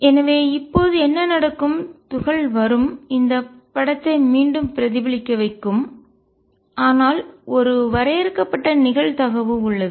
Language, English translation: Tamil, So, what would happen is particle would come in let me make this picture again would come in get reflected, but there is a finite probability that will go through